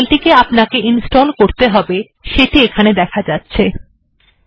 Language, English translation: Bengali, And it shows you the file that needs to be installed